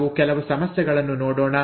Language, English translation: Kannada, Let us look at some issues